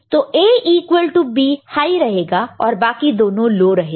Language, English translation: Hindi, So, the A is equal to B is high and the other two are low, right